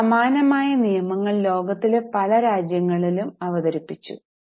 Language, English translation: Malayalam, Now the similar acts were introduced by many countries in the world